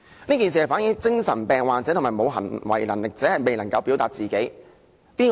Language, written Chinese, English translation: Cantonese, 這件事反映了精神病患者和沒有行為能力者，未能夠表達自己。, This incident reflects that persons with mental disabilities and mentally incapacitated persons are unable to express themselves